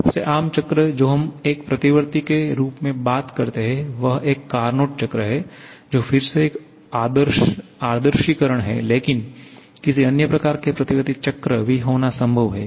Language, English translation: Hindi, The most common cycle that we talk about as a reversible one is a Carnot cycle, which is again an idealization but it is possible to have any other kind of reversible cycles also